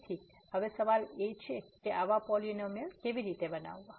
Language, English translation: Gujarati, So, now the question is how to construct such a polynomial